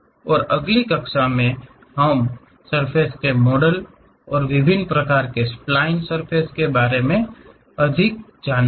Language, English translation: Hindi, And, in the next classes we will learn more about surface models and different kind of spline surfaces